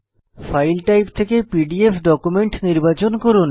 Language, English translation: Bengali, From File Type , select PDF document